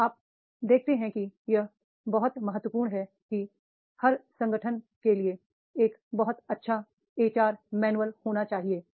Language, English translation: Hindi, Now you see that is it is very important for every organization to have a very perfect HR manual